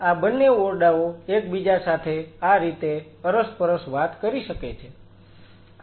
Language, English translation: Gujarati, So, these two rooms can cross talk with each other right like this